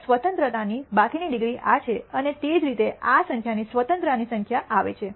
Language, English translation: Gujarati, So, the remaining degrees of freedom is this and that is how this number of number of degrees of freedom comes about